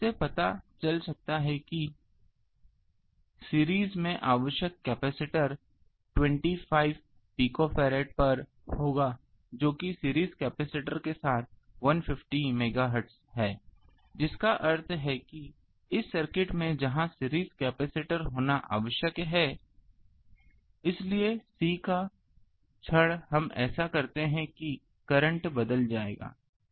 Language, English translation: Hindi, So, from that we can find out that capacitor required in series will be 25 picofarad at that 150 megahertz with the series capacitor the that means, here in this circuit there will have to be a series capacitor so, of C the moment we do that the current will change